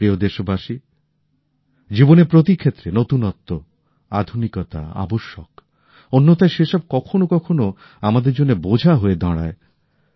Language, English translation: Bengali, Dear countrymen, novelty,modernization is essential in all fields of life, otherwise it becomes a burden at times